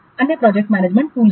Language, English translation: Hindi, There are other project management tools